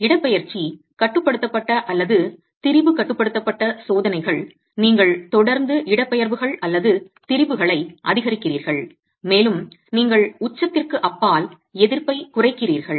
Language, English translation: Tamil, Displacement control or strain control tests are where you continue to increase the displacements or the strains and you get reducing resistances beyond the peak